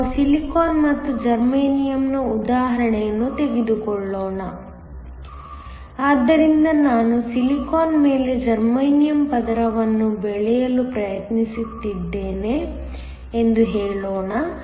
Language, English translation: Kannada, So, let us take an example of Silicon and Germanium So, let us say I am trying to grow a Germanium layer on Silicon